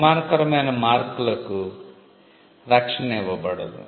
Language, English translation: Telugu, Disparaging marks will not be granted protection